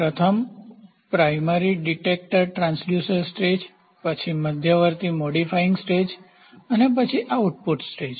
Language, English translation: Gujarati, First is, primary detector transducer stage, then intermediate modifying stage and then output stage